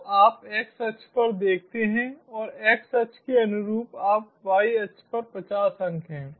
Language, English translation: Hindi, so you see, on the xaxis, and corresponding to the xaxis, you have fifty points on the y axis